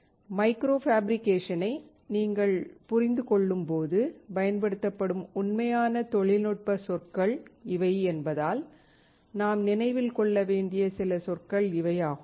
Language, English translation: Tamil, These are the few terms that we have to remember because these is actual technical terms used when you understand micro fabrication